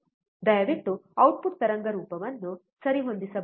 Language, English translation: Kannada, Can you please adjust the output wave form